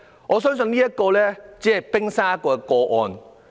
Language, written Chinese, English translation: Cantonese, 我相信這宗個案只是冰山一角。, I believe this case is only the tip of the iceberg